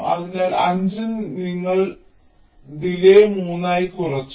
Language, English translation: Malayalam, so from five we have reduced the delay to three